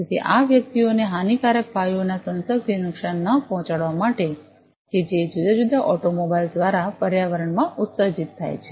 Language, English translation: Gujarati, So, as not to harm these individuals from exposure to these harmful gases, that are emitted in the environment by different automobiles